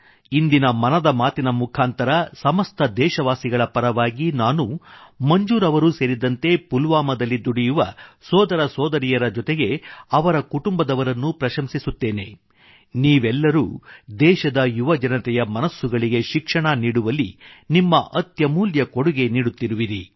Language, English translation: Kannada, Today, through Mann Ki Baat, I, on behalf of all countrymen commend Manzoor bhai and the enterprising brothers and sisters of Pulwama along with their families All of you are making invaluable contribution in educating the young minds of our country